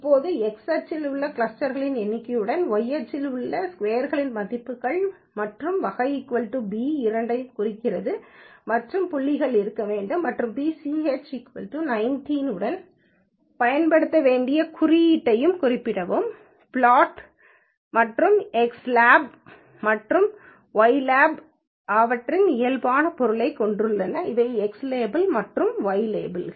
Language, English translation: Tamil, Now you can plot that with number of clusters in x axis and within sum of squares value in y axis and type is equal to b represents both line and points has to be there and pch is equal to 19 specifies the symbol that has to be used along with the plot and x lab and y lab has their normal meanings which are x label and the Y label